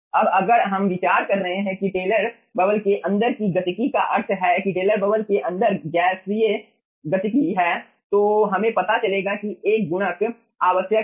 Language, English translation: Hindi, now if we are considering that ah inside dynamics of the taylor bubble, that means the gaseous dynamics inside the taylor bubble, then we will be finding out 1 ah multiplier is necessary